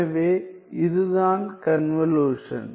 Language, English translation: Tamil, So, this is the convolution